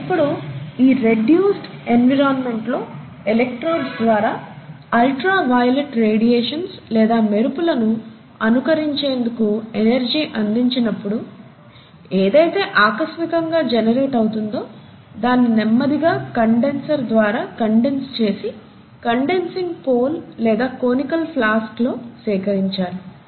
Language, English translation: Telugu, Now in this reduced environment, when the energy was supplied, to mimic ultra violet radiations or lightnings through electrodes, whatever was being spontaneously generated was then eventually condensed by the means of a condenser, and then collected at the collecting pole, or the collecting conical flask